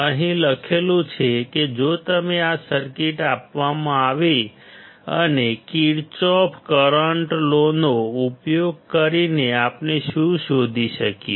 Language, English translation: Gujarati, It is written over here, if you are given this circuit; then using Kirchhoff current law what we can find